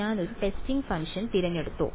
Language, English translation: Malayalam, Did I choose a testing function